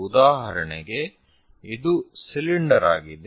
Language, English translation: Kannada, For example, this is the cylinder